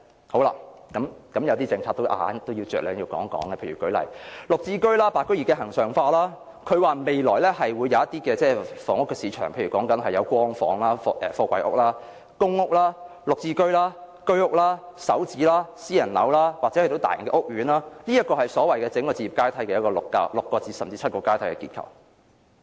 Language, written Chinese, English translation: Cantonese, 好了，有一些政策我都要大概談一談，例如"綠置居"，"白居二"的恆常化，她指出未來會有一些房屋市場，例如有"光房"、貨櫃屋、公屋、"綠置居"、居屋、"港人首置上車盤"、私人樓，或是一些大型屋苑，這是所謂的置業階梯的6至7個結構。, Alright there are some policies I want to talk about briefly for example the Green Form Subsidised Home Ownership Scheme and the plan to regularize the White Form Buyers . She says that there will be some housing markets in the future such as Light Housing pre - fabricated modular housing public housing Green Form Subsidised Home Ownership Scheme Home Ownership Scheme flats Starter Homes for Hong Kong residents and private housing or some large housing estates . These are the six or seven structures in the so - called housing ladder